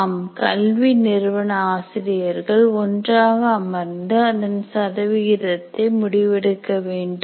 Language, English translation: Tamil, Yes, the faculty of a particular institute should sit together and decide these percentages